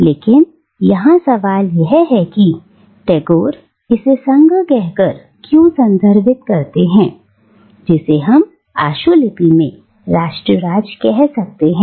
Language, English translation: Hindi, But the question here is why does Tagore refer to this union which we can use a shorthand version 'nation state' to refer to